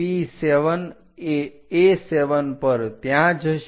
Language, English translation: Gujarati, P7 on A7 goes there